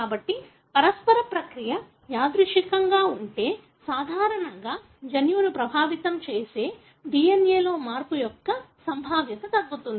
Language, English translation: Telugu, So, if the mutational process is random, then normally the probability of a change in the DNA affecting a gene goes down